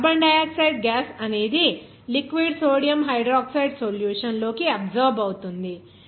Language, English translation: Telugu, Now carbon dioxide gas to be absorbed to the liquid sodium hydroxide solution